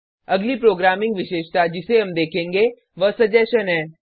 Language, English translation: Hindi, The next programming feature we will look at is suggestion